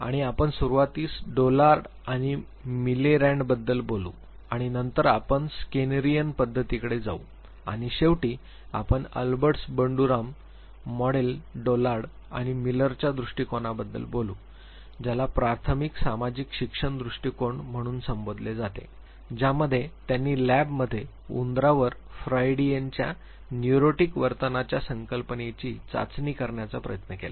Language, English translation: Marathi, And we would initially talk about Dollard and Miller and then we will come to the skinnerian approach and finally, we would be talking about Alberts Banduras, model Dollard and Miller’s view point is what is called as the early social learning approach basically they attempted testing the Freudian concept of neurotic behavior in lab on rats